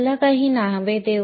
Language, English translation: Marathi, Let us give some names